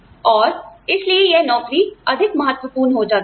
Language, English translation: Hindi, And, so this job, becomes more important